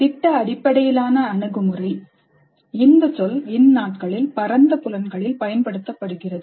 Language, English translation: Tamil, The project based approach, this term is being used in several broad senses these days